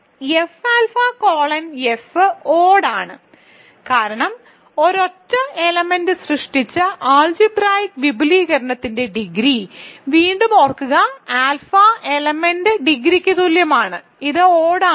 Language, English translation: Malayalam, So, F alpha colon F is odd right, because again remember degree of an algebraic extension generated by a single element alpha is equal to the degree of the element itself, so this is odd